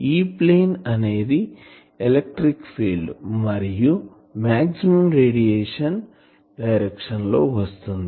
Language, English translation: Telugu, E plane is the plane made by the electric field and the direction of maximum radiation